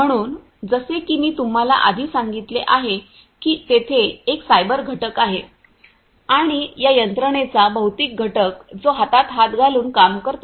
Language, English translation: Marathi, So, as I told you before that there is a cyber component and the physical component of these systems which work hand in hand